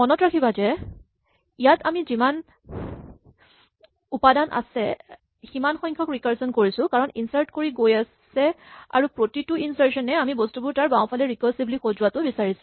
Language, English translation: Assamese, Remember that in this we are basically doing recursion exactly the number of times as there are elements because we keep inserting, inserting, inserting and each insertion requires us to recursively sort the things to its left